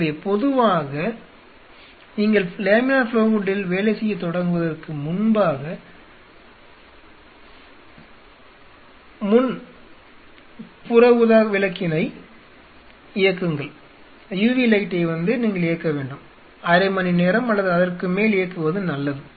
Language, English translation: Tamil, So, generally before you start working on laminar flow hood it is good idea to switch on a UV before that and leave it on for half an hour or So